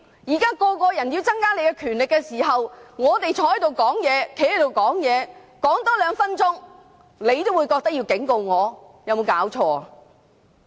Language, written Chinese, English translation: Cantonese, 現在一些議員要增加你的權力，而我們站起來多發言2分鐘，你也要警告，有沒有搞錯？, Some Members want to enhance your powers and you warn us after we have only spoken for two minutes . Have you gone too far? . RoP of the Legislative Council is being devastated today